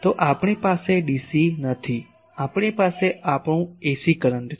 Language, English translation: Gujarati, So, we do not have dc, we have our ac current